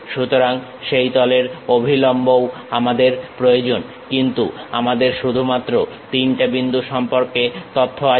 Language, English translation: Bengali, So, normals of the surface also we require, but we have only information about three points